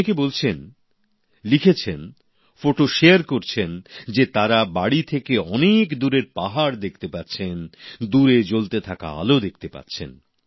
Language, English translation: Bengali, Many people are commenting, writing and sharing pictures that they are now able to see the hills far away from their homes, are able to see the sparkle of distant lights